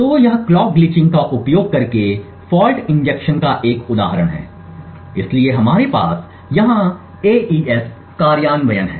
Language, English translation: Hindi, So this is an example of fault injection using clock glitching so what we have here is an AES implementation